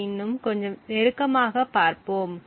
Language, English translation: Tamil, So, let us look at it a little bit more closely